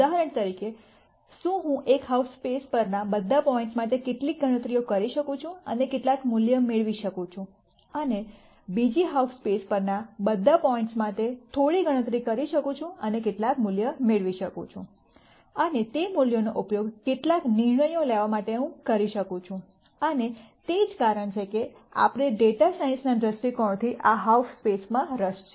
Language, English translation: Gujarati, For example, can I do some computations for all the points on one half space and get some value and some computation for all the points on the other half space and get some value and use that to make some decisions and that is a reason why we are interested in this half spaces from a data science viewpoint